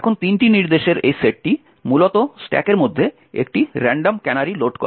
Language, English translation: Bengali, Now this set of three instructions essentially loads a random canary into the stack